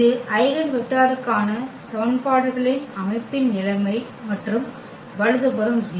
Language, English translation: Tamil, This is the situation of this system of equation for the eigenvector here and the right hand side 0